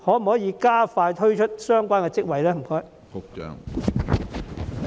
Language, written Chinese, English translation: Cantonese, 可否加快推出相關職位？, Can the process be expedited?